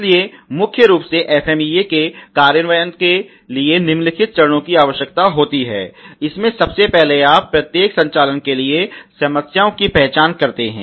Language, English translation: Hindi, So principally the implementation of the FMEA process a necessities the following steps ok, first a fall you identifying the problems for each operation and that can be identify the a mostly of the local level